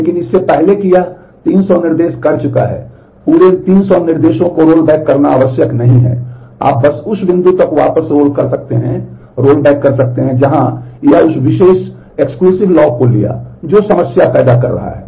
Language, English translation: Hindi, But before that it has done 300 instructions it is not necessary to rollback the whole of the 300 instructions, you can just roll back up to the point where it took that exclusive lock which is creating the problem